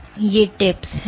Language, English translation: Hindi, So, these are tips